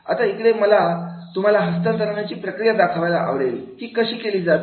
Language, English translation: Marathi, Now here I would like to share with you a model of the transfer process that how it is to be done